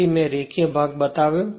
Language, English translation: Gujarati, So, I showed you the linear portion